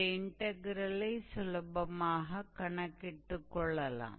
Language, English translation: Tamil, So, calculating this integral would not be difficult